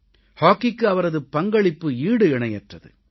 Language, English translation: Tamil, His contribution to hockey was unparalleled